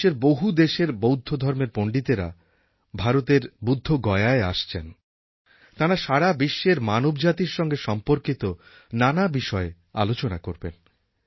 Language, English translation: Bengali, Various Buddhist scholars from across the globe are coming together at Bodh Gaya and will discuss issues relating to humanity at a global level